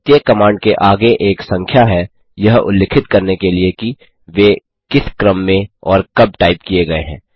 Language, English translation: Hindi, Every command has a number in front, to specify in which order and when it was typed